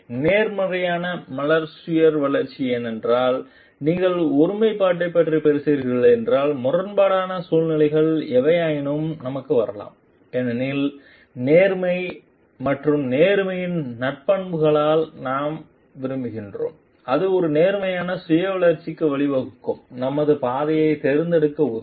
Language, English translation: Tamil, And positive flower self development because, if you are talking of integrity then whatever may be conflicting situations may come to us because, the we like by the virtue of honesty and integrity remaining true to oneself will help us to choose our path which will lead to a positive self development